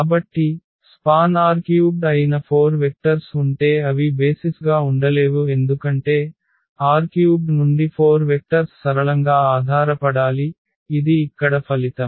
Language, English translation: Telugu, And so, if there are 4 vectors which is span r 3 they cannot be they cannot be basis because, 4 vectors from R 3 they have to be linearly dependent this is the result here